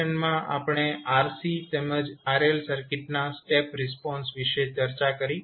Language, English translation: Gujarati, In this session we discussed about the step response of RC as well as RL circuit